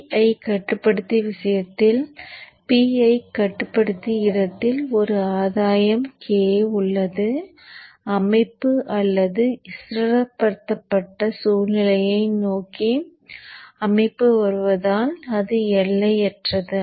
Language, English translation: Tamil, So in the case of PI controller, the PI controller has a gain k which is infinite as the system tends towards a DC situation or a stabilized situation so let me take for example a fresh page